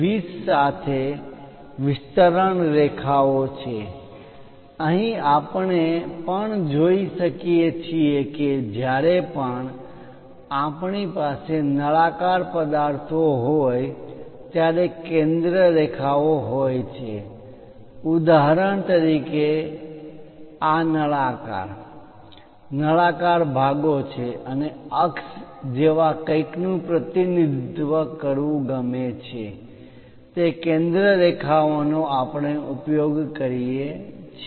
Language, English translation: Gujarati, 20 as the basic dimension, here also we can see that there are center lines whenever we have cylindrical objects for example, this is the cylinder, cylindrical portions and would like to represent something like an axis we use that center lines